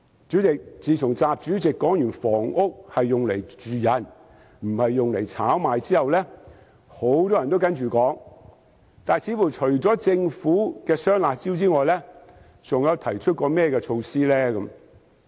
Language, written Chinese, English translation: Cantonese, 主席，自從習主席說過"房子是用來住的，不是用來炒賣"後，很多人也複述這番說話，但政府除了推出"雙辣招"之外，還有甚麼措施呢？, President many people recapitulate the remark made by President XI that houses are built to be inhabited not for speculation . However besides the introduction of double curbs measures what other measures has the Government launched?